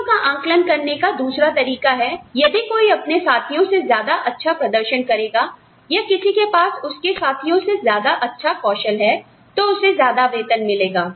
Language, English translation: Hindi, The other way of assessing things is, anyone, who performs better than, his or her peers, or, who has a better skill set, than his or her peers, will get a higher salary